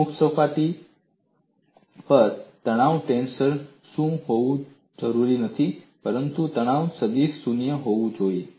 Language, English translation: Gujarati, On a free surface, stress tensor need not be 0, but stress vector is necessarily 0